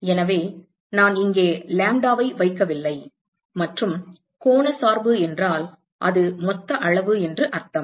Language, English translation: Tamil, So, when I do not put lambda here and angular dependence it means it is a total quantity